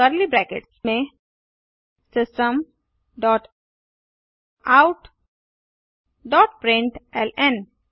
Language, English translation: Hindi, Within curly brackets type System dot out dot println